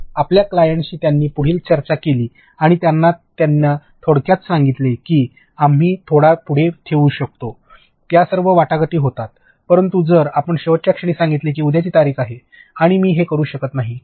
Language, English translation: Marathi, So, they have further discussions with your client and they brief them that we can push it ahead a little, all these negotiations happen, but if you tell it in the last minute that tomorrow is the date and I cannot do this